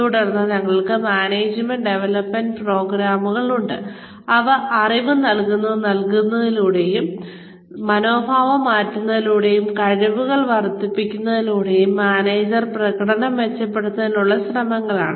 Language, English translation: Malayalam, Then, we have management development programs, which are the attempts, to improve managerial performance, by imparting knowledge, changing attitudes, and increasing skills